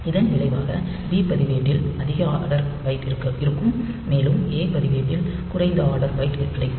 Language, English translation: Tamil, And as a result this B register will have the higher order byte, and this A register will have get the lower order byte